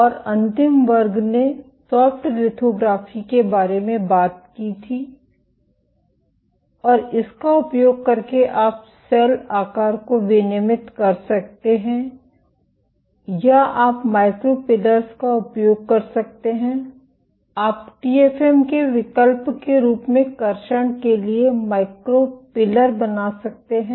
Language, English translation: Hindi, And the last class spoke about Soft lithography and using this you can regulate cell shape or you can use micro pillars, you can fabricate micro pillars for traction as an alternative to TFM